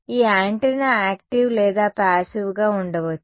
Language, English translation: Telugu, This antenna can be active or passive